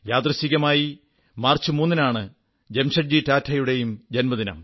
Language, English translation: Malayalam, Coincidentally, the 3rd of March is also the birth anniversary of Jamsetji Tata